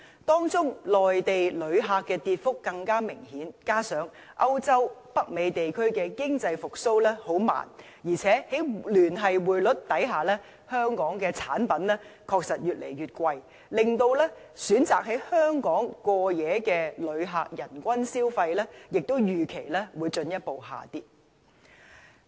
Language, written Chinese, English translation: Cantonese, 當中，內地旅客的跌幅更加明顯，加上歐洲及北美地區經濟復蘇緩慢，以及在聯繫匯率下，香港的產品確實越來越貴，令選擇在香港過夜的旅客的人均消費，亦預期會進一步下跌。, In particular the rate of reduction in the number of Mainland visitors is even more apparent . Besides as the economic recovery in Europe and North America is slow and products of Hong Kong have become increasingly expensive under the Linked Exchange Rate System the per capita spending of over - night visitors in Hong Kong is expected to drop even further